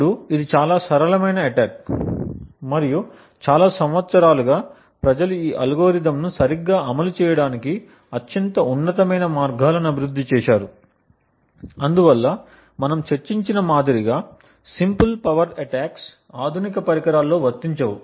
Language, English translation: Telugu, Now this is obviously a very simple attack and over the years people have developed much more stronger ways to implement exactly this algorithm and thus simple power attacks like the one we discussed are not very applicable in modern day devices